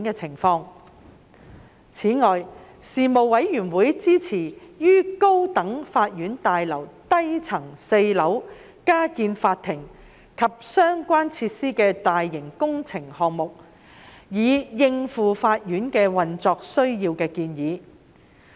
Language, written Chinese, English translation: Cantonese, 此外，事務委員會支持於高等法院大樓低層4樓加建法庭及相關設施的大型工程項目，以應付法院的運作需要的建議。, Apart from that the Panel supported the proposed major works project for the construction of additional courtrooms and associated facilities on the lower ground fourth floor of the High Court Building to meet operational needs of the courts